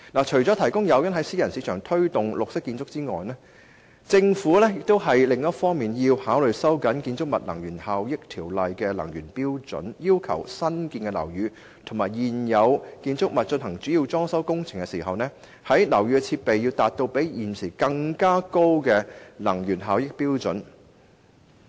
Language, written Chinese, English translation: Cantonese, 除提供誘因在私人市場推動綠色建築外，政府亦要考慮收緊《建築物能源效益條例》的能源效益標準，要求新建樓宇和現有建築物在進行主要裝修工程時，樓宇的設備要達到比現時高的能源效益標準。, Apart from offering incentives to promote green buildings in the private market the Government should also consider the tightening of the energy efficiency standards under the Buildings Energy Efficiency Ordinance while also requiring that building installations in newly constructed and also existing buildings must attain an energy efficiency level higher than the existing one when major retrofitting works are carried out